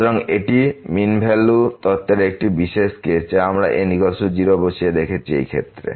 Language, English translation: Bengali, So, this is a special case of the mean value theorem which we have seen just by putting is equal to 0 in this case